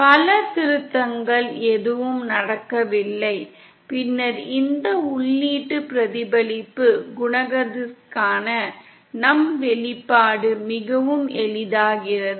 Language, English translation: Tamil, There is no multiple refection happening, then our expression for this input reflection coefficient becomes much easier